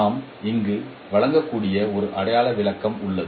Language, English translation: Tamil, There is a figurative explanation that we can provide here